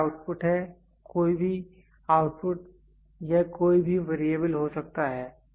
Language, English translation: Hindi, So, this is output, any output it can be any variable